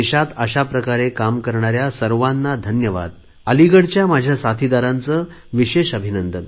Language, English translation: Marathi, I felicitate all such citizens involved in these kinds of activities and especially congratulate friends from Aligarh